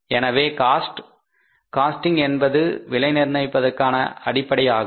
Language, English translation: Tamil, So, costing is the basis of pricing